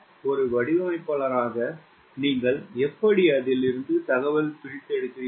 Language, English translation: Tamil, how do you, as a designer, how do you extract information out of it